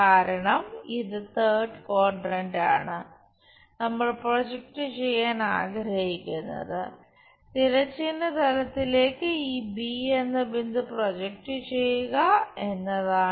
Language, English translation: Malayalam, Because, this third quadrant and what we want to really project is project this point B onto horizontal plane rotate it